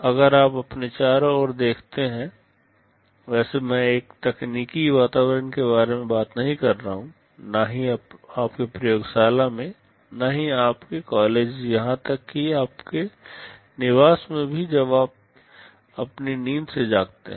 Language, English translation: Hindi, If you look around you; well I am not talking about in a technical environment, not in your laboratory, not in your college well even in your residence when you wake up from your sleep